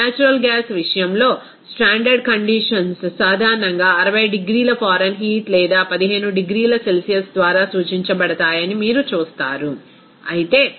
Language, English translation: Telugu, In the case of natural gas, you will see that that the standard conditions generally represented by 60 degree Fahrenheit or 15 degrees Celsius, whereas the pressure will be 14